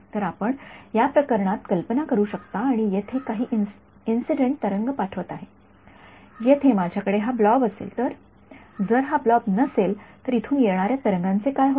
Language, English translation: Marathi, So, you can imagine in this case and I am sending some incident wave over here if this I have this blob over here, if this blob were not there what would happen to the wave from here